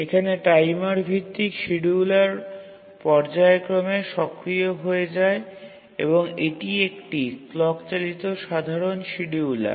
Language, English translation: Bengali, So, here based on a timer, the scheduler becomes active periodically and that is a clock driven scheduler